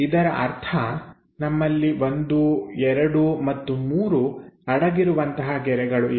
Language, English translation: Kannada, That means; we have 1, 2 and 3 hidden lines we have it